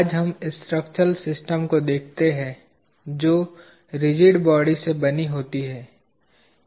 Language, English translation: Hindi, at structural systems that are made out of rigid bodies